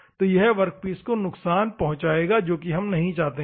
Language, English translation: Hindi, So, it will damage the workpiece, which we do not want